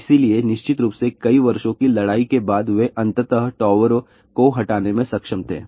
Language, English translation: Hindi, So, of course, after several years of battle they were finally able to get the towers removed